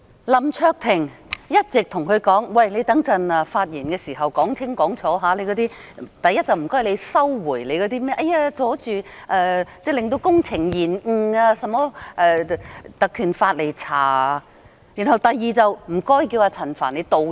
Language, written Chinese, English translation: Cantonese, 林卓廷議員一直對他說，稍後發言時要說清楚：第一，請他收回指引用《立法會條例》調查將會令工程延誤的說法；第二，要求陳局長道歉。, Mr LAM Cheuk - ting had all along advised him to be clear when he spoke later . Firstly he should withdraw the statement that invocation of the Legislative Council Ordinance to conduct an inquiry would cause delays to the works . Secondly Secretary CHAN should apologize